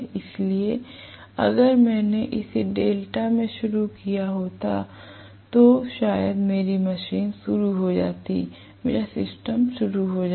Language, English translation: Hindi, So if I had started it in delta maybe my machine would have started, my system would have started